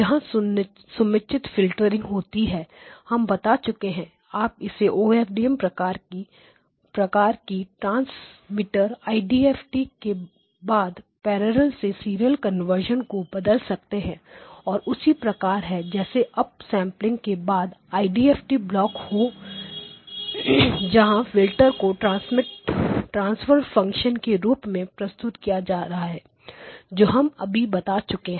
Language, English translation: Hindi, This is where the appropriate filtering is taking place what we have shown that is that if you replace it with the OFDM type transmitter IDFT followed by a parallel to serial conversion that is the same as up sampling followed by the IDFT block where the filters can now be represented in terms of the transfer functions that we have just now shown